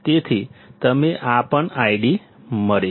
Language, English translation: Gujarati, So, you get and this is also I D